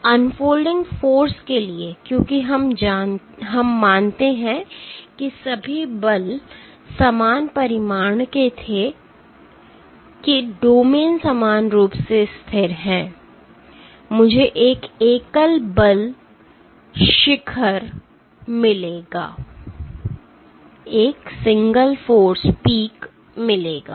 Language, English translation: Hindi, So, for the unfolding force because we assume that all the forces were of equal magnitude that the domains are equally stable, I will get a single force peak